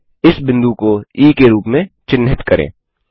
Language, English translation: Hindi, Lets mark this point as E